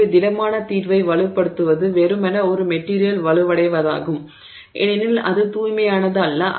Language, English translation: Tamil, So, solid solution strengthening is simply a material becoming stronger because it is not pure